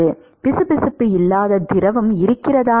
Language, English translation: Tamil, But is there a fluid which is not viscous